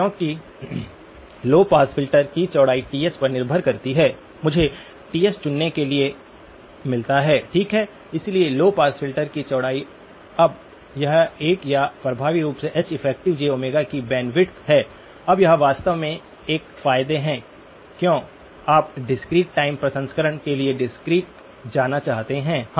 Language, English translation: Hindi, Because the width of the low pass filter depends on Ts, I get to choose Ts, okay, so the width of the low pass filter, now this is one of or effectively the bandwidth of H effective of j Omega, now this is actually one of the advantages why you would want to go to the discrete for discrete time processing